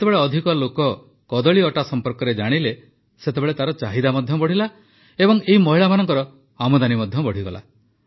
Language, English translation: Odia, When more people came to know about the banana flour, its demand also increased and so did the income of these women